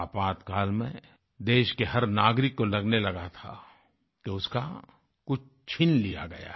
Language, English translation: Hindi, During Emergency, every citizen of the country had started getting the feeling that something that belonged to him had been snatched away